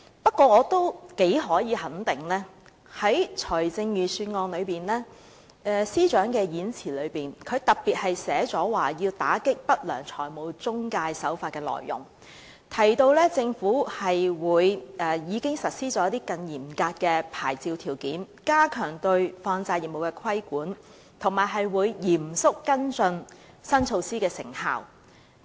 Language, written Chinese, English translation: Cantonese, 不過，司長在預算案演辭中特別提到要打擊不良財務中介，又提到政府已經實施更嚴格的牌照條件，加強對放債業務的規管，以及會嚴肅跟進新措施的成效。, But the Financial Secretarys Budget speech talks specifically about the necessity to combat unscrupulous financial intermediaries while also saying that the Government has imposed more stringent licensing conditions to enhance the regulation of money lending and that it will seriously follow up the effectiveness of the new measures